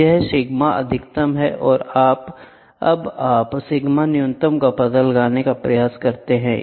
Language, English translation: Hindi, So, this is sigma max you can try to find out sigma min